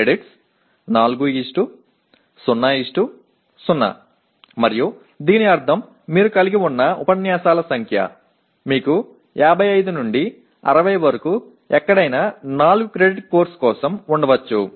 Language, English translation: Telugu, Credits 4:0:0 and that means the number of lectures that you will have you have anywhere from 55 to 60 almost you can have for a 4 credit course